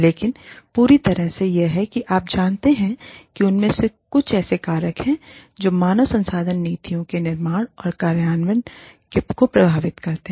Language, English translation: Hindi, But, on the whole, this is how, you know, some of these are, some of the factors, that influence the formulation and implementation of HR policies